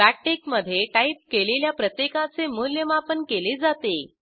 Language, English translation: Marathi, Everything you type between backtick is evaluated